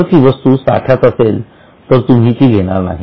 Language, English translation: Marathi, If it is in stock, you will not take it here